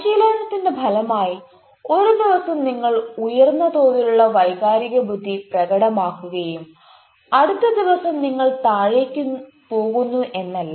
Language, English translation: Malayalam, it is not that one day you are showing high level of emotional intelligence and next day you goes down